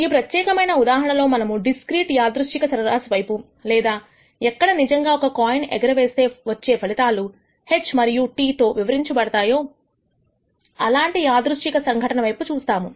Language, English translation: Telugu, In this particular case we are looking at the discrete random variable or a random phenomena where we actually have a single coin toss whose outcomes are described by H and T